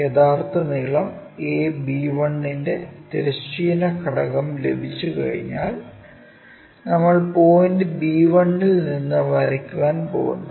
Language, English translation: Malayalam, Once, we have that a horizontal component of true length a b 1 we are going to draw from point b 1